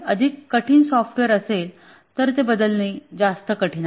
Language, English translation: Marathi, One is that the more complex is a software, the more harder it is to change